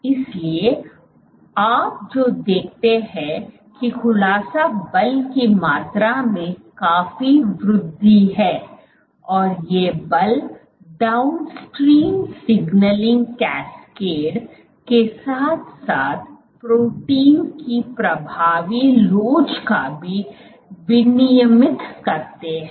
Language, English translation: Hindi, So, what you see is a great increase the amount of unfolding force and forces regulate the downstream signaling cascade as well as the effective elasticity of the protein